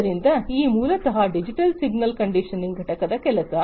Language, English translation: Kannada, So, this is basically the work of the digital signal conditioning unit